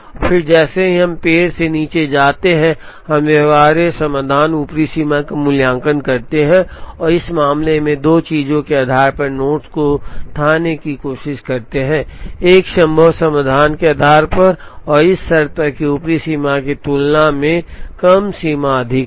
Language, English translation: Hindi, And then as we move down the tree, we evaluate feasible solutions and upper bounds and try to fathom the nodes based on two things in this case, based on a feasible solution and based on the condition that lower bounds is greater than the upper bound